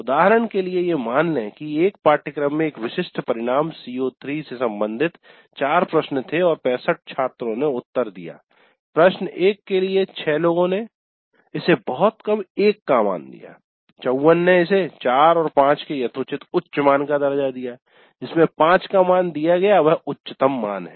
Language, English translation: Hindi, Assume that there were four questions related to one specific outcome CO3 in a course and 65 students responded and just let us assume that for question 1, 6 people rated it very low, a value of 1, 54 rated it reasonably high, a value of 4, and 5 rated it at 5 the highest value